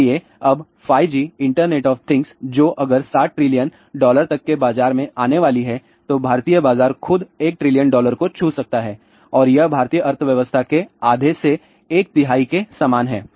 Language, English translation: Hindi, So, now a 5G an internet of things if that is going to be let us say 7 trillion dollar market then Indian market itself may be touching one trillion dollar and that is like half to one third of the Indian economy